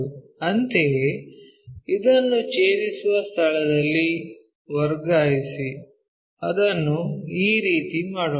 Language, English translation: Kannada, Similarly, transfer this one where it is intersecting, so let us do it in this way